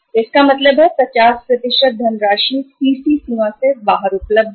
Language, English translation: Hindi, So it means 50% of the funds are available out of CC limit